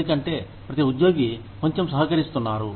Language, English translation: Telugu, Because, every employee is contributing, a little bit